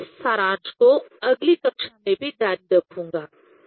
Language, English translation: Hindi, I will continue this summary in next class also